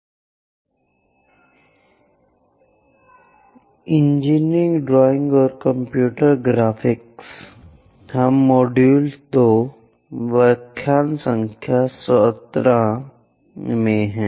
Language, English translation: Hindi, Engineering Drawing and Computer Graphics; We are in module number 2, lecture number 17